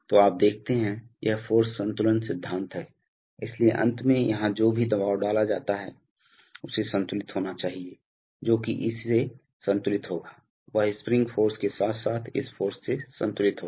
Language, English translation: Hindi, So you see, it is a force balance principle, so finally whatever pressure is being applied here that must be balanced, that will be balanced by this, that will be balanced by the spring force as well as this force